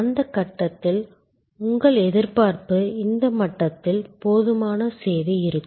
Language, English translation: Tamil, At that stage may be your expectation is at this level adequate service